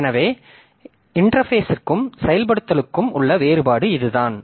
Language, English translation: Tamil, So, that is the differentiation between interface and implementation